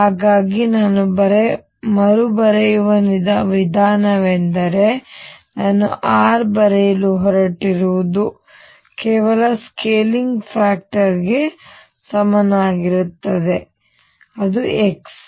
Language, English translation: Kannada, So, the way I rescale is I am going to write r is equal to some scaling factor a times x